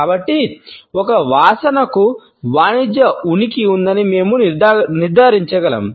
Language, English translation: Telugu, So, we can conclude that a smell has a commercial presence